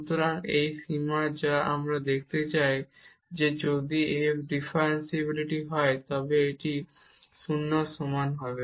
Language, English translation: Bengali, So, this is this limit which we want to show that if f is differentiable this must be equal to 0